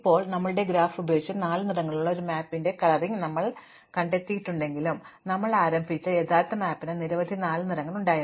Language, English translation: Malayalam, Now, you might observe that though we have found a coloring of this map using our graph with only four colors, the original map which we started with had many more than four colors